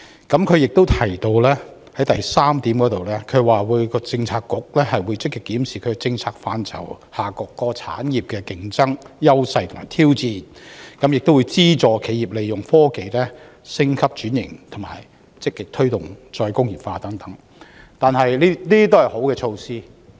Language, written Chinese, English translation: Cantonese, 局長亦於第三部分提到，各政策局會積極檢視其政策範疇下各產業的競爭優勢及挑戰，資助企業利用科技升級轉型，以及積極推動"再工業化"等，這些都是好的措施。, The Secretary also says in part 3 that government bureaux will among others actively review the competitive advantages and challenges of various industries under their policy purview subsidize companies in using technologies to upgrade and transform and actively promote re - industrialization . All these are good measures